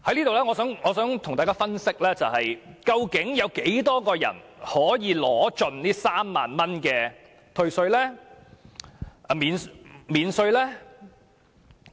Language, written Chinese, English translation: Cantonese, 我想在此跟大家分析，究竟有多少人可以盡享該3萬元的稅務寬減？, Next I would like to analyse with Members the number of people who can fully enjoy the 30,000 tax concession